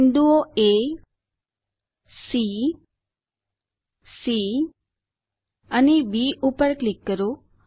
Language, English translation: Gujarati, click on the points A , C